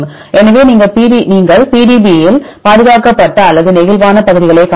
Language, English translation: Tamil, So, you can see in the PDB where you can see the conserved regions or where you have the flexible regions